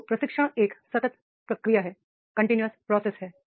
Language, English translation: Hindi, So training is a continuous process